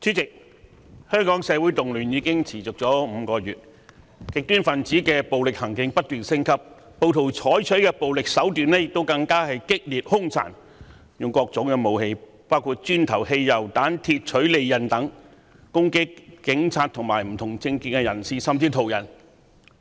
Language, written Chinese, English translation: Cantonese, 主席，香港社會動亂已持續5個月，極端分子的暴力行徑不斷升級，暴徒採取的暴力手段更見激烈、兇殘，他們使用各種武器，包括磚頭、汽油彈、鐵槌及利刃等，攻擊警察和不同政見的人士，甚至是途人。, The violence level of extremists has been escalating . The violent acts of the rioters have become increasingly intense and brutal . They used various weapons including bricks petrol bombs hammers and sharp blades to attack police officers people holding different political views or even passers - by